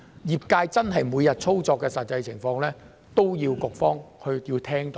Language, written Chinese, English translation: Cantonese, 業界每日操作的實際情況，都需要局方聽到。, The Bureau should know the actual daily operation of the industry as well